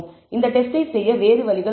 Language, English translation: Tamil, There are other ways of performing this test